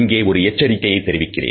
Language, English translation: Tamil, Now, a word of caution can be given over here